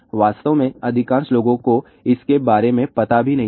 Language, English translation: Hindi, In fact, majority of the people are not even aware of that